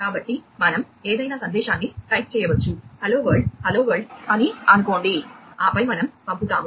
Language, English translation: Telugu, So we can type in any message, let us say, hello world, hello world, and then we send it